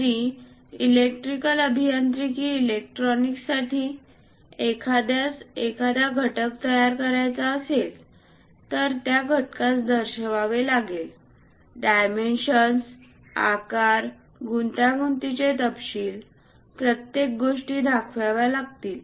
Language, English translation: Marathi, Even for electrical engineering electronics, if someone would like to manufacture a component that component has to be represented clearly, the dimensions, the size, what are the intricate details, everything has to be represented